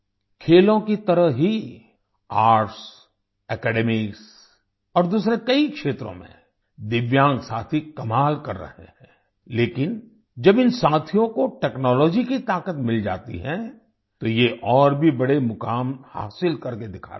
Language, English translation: Hindi, Just like in sports, in arts, academics and many other fields, Divyang friends are doing wonders, but when these friends get the power of technology, they achieve even greater heights